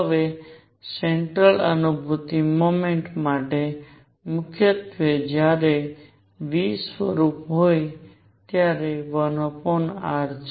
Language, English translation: Gujarati, Now, for central feel motion mainly when v is of the form 1 over r